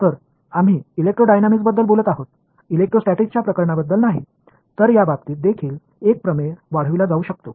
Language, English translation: Marathi, So, we are talking about electrodynamics not electrostatics cases, but a the theorem could be extended also in that case